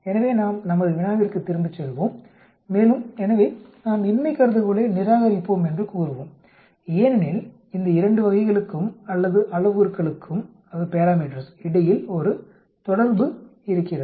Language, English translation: Tamil, So let us go back to our problem and so we will say we will reject the null hypothesis that, there is an association between these two categories or parameters